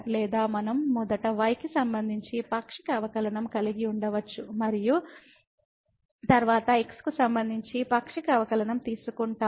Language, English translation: Telugu, Or we can have like first the partial derivative with respect to and then we take the partial derivative with respect to